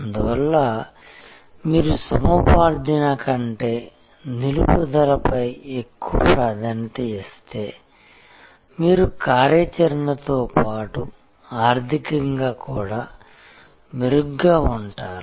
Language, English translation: Telugu, Therefore, the more emphasis you do to retention rather than to acquisition, you will be better of operationally as well as financially